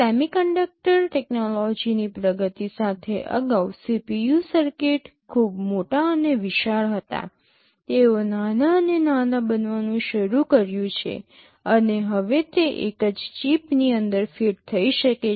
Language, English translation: Gujarati, With the advancement in semiconductor technology earlier CPU circuits were very large and bulky; they have started to become smaller and smaller, and now they can fit inside a single chip